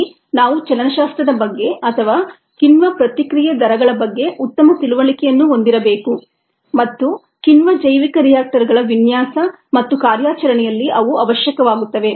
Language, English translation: Kannada, here we need to have a good understanding of the kinetics or the rates of enzymes reaction and they become essential in the design and operation of enzyme bioreactors